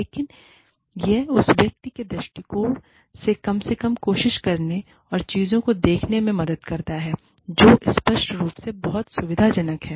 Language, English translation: Hindi, But, it helps, to at least, try and see things, from the perspective of this person, who is obviously, very, very, uncomfortable